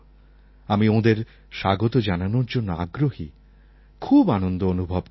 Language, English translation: Bengali, I am very excited to welcome them and feel extremely happy